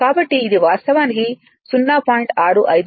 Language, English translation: Telugu, This is actually 0